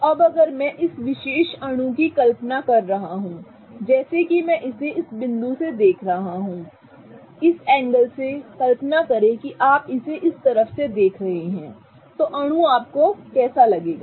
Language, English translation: Hindi, So, now if I am visualizing this particular molecule such that I am looking at it from this point from this angle such that let's imagine that you are looking at it from this side, how would the molecule look to you